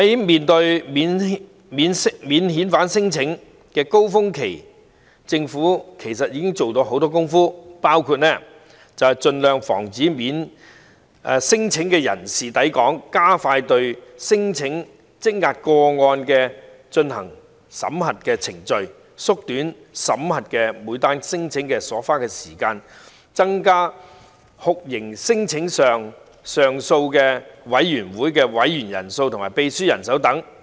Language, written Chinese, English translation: Cantonese, 面對免遣返聲請的高峰期，其實政府已經做了很多工夫，包括盡量防止聲請的人士來港、加快對聲請積壓個案進行審核程序、縮短審核每宗聲請所花的時間，以及增加酷刑聲請上訴委員會的委員人數和秘書處人手。, In the face of the peak of non - refoulement claims a lot of work has actually been done by the Government which include preventing claimants from entering Hong Kong as far as possible expediting the screening of pending claims shortening the time for screening each claim and increasing the number of members and secretariat staff in the Torture Claims Appeal Board